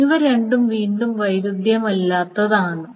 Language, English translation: Malayalam, Are these two non conflicting